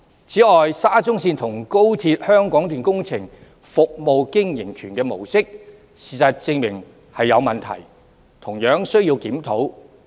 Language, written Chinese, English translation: Cantonese, 此外，事實證明，沙中線和高鐵香港段工程的"服務經營權"模式確有問題，同樣需要檢討。, Besides facts have proved that there are indeed problems with the concession approach of the SCL project and that of the Hong Kong Section of the Guangzhou - Shenzhen - Hong Kong Express Rail Link